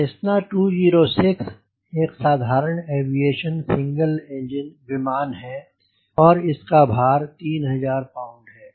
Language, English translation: Hindi, cessna two zero six, like a general aviation single engine aircraft and the weight is three thousand pound